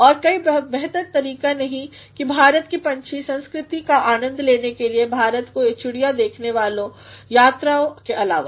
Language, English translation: Hindi, And there is no better way to enjoy the vibrant bird culture of India than by undertaking bird watching tours in India